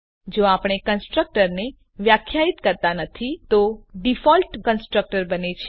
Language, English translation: Gujarati, If we do not define a constructor then a default constructor is created